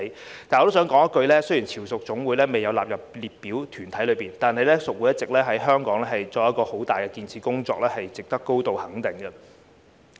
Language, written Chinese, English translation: Cantonese, 但是，我想說一句，雖然潮屬總會未有納入列明團體上，但屬會一直在香港做很大的建設工作，值得高度肯定。, However I would like to say that although the Federation of Hong Kong Chiu Chow Community Organizations is not amongst the specified bodies it has been doing a great job in building up Hong Kong and deserves high recognition